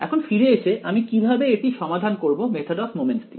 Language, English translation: Bengali, Now coming back to our how we will actually solve this using the method of moments